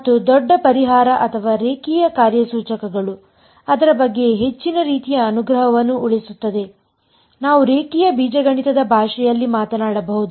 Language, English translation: Kannada, And the great relief or the great sort of saving grace about it is that linear operators, we can talk about in the language of linear algebra